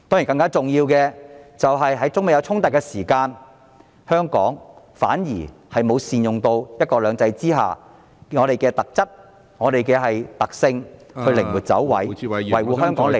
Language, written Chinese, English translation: Cantonese, 更重要的是，在中美衝突時，香港政府反而沒有善用在"一國兩制"下的特質、特性，靈活地"走位"，維護香港利益......, More importantly still given the China - United States conflicts the Hong Kong Government has not capitalized on the features and characteristics of one country two systems and has not taken flexible actions to safeguard Hong Kongs interests